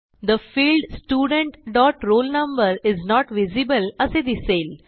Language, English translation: Marathi, It says The field Student dot roll number is not visible